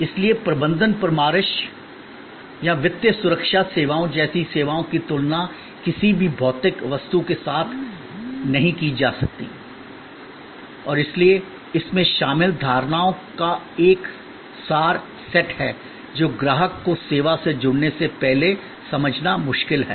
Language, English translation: Hindi, So, services like management consultancy or financial security services cannot be compared with any physical object and therefore, there is an abstract set of notions involved, which are difficult to comprehend before the customer engages with the service